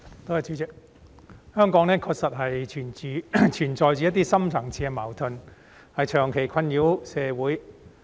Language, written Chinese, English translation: Cantonese, 代理主席，香港確實存在着一些深層次的矛盾，長期困擾社會。, Deputy President in Hong Kong there really exist some deep - seated conflicts which have long plagued the community